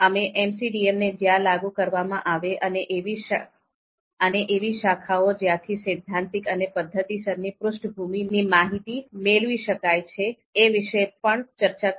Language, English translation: Gujarati, Then, we also discussed the disciplines where MCDM has been applied and the disciplines where we draw theoretical and methodological background